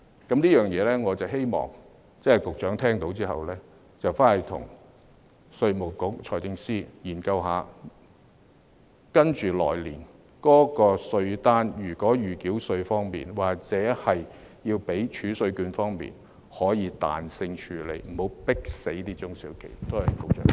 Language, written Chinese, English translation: Cantonese, 就這一點，我希望局長聽到後，回去跟稅務局和財政司司長研究一下，來年的稅單在預繳稅或儲稅券方面，可以彈性處理，不要迫死中小企。, On this point I hope that the Secretary will after hearing it go back and join hands with IRD and the Financial Secretary to study the possibility of flexibly handling the provisional tax on demand notes or TRCs for the coming year instead of hounding SMEs to death